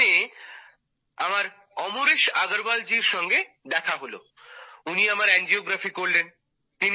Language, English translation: Bengali, Then we met Amresh Agarwal ji, so he did my angiography